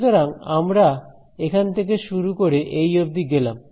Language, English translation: Bengali, So, let us start from here and go all the way up to here